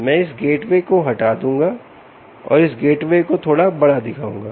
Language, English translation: Hindi, i will remove this gateway and show this gateway a little bigger